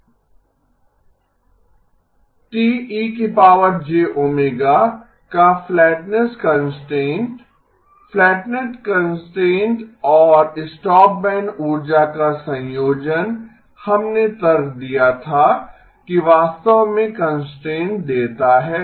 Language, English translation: Hindi, The flatness constraint of T e of j omega, the combination of the flatness constraint and the stopband energy we argued actually gives us the constraint